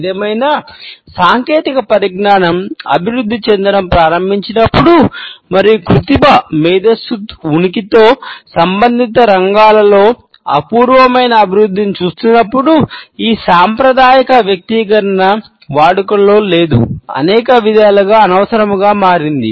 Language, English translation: Telugu, However, once the technology started to develop and with the presence of artificial intelligence, when we are looking at an unprecedented development in related fields this conventional personalization has become not only obsolete, but also in many ways redundant